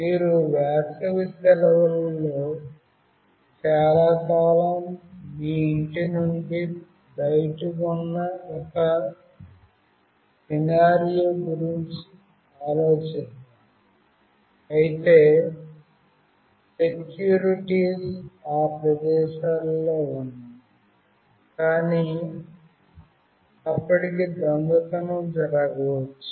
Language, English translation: Telugu, Let us think of a scenario, where you are out of your house during summer vacation for a long time, of course securities are there in places, but still theft may occur